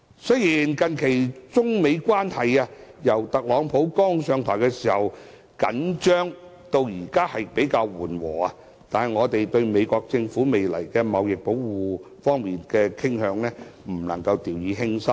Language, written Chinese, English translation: Cantonese, 雖然中美關係由特朗普剛上台時出現緊張，到近期較為緩和，但對於美國政府在未來可能出現的貿易保護主義傾向，我們不能掉以輕心。, Though Sino - American relationship has recently shown alleviation after the tension occurring at the time of TRUMPs inauguration we cannot be complacent about the situation as the TRUMP administration may still be inclined towards trade protectionism